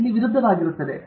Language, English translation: Kannada, It will be opposite of this